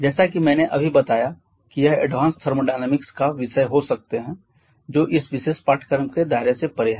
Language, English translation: Hindi, As I just told that can be the topics of advanced thermodynamics, which is beyond the scope of this particular work on this particular course